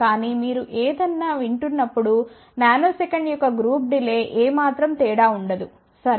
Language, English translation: Telugu, But when you are listening to something a group delay of a nanosecond will not make any difference at all, ok